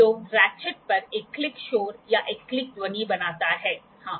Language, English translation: Hindi, So, at the ratchet makes one click noise or one click sound yes